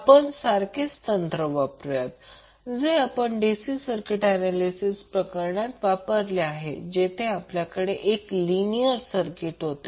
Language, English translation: Marathi, We will use the same technique which we used in case of DC circuit analysis where we will have one circuit linear circuit